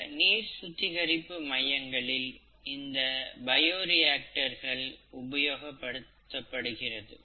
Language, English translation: Tamil, Bioreactors are the basal ones that are used for water treatment